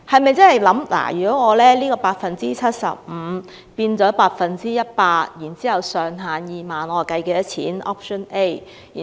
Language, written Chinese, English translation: Cantonese, 為何要由 75% 增至 100%， 並將扣稅上限定為2萬元？, Why should the reduction rate be increased from 75 % to 100 % with a ceiling of 20,000?